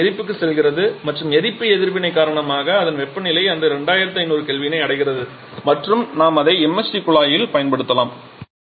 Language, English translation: Tamil, Subsequently it goes to the combustor and because of the combustion reaction it temperature reaches to that 2500 kelvin range and we can use it in the MHD duct